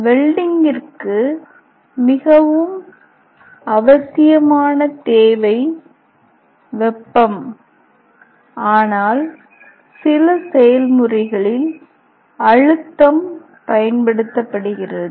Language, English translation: Tamil, The most essential requirement is heat, but in some process pressure is also employed